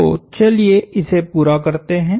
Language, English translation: Hindi, So, let us complete this